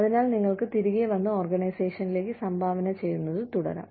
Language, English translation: Malayalam, So, you can come back, and keep contributing to the organization